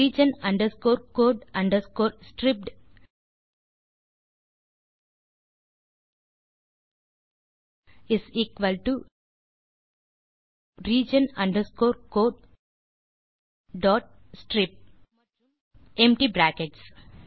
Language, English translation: Tamil, region underscore code underscore stripped is equal to region underscore code dot strip and empty brackets